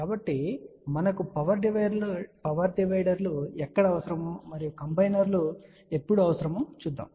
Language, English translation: Telugu, So, let us see where we need power dividers and when we need combiners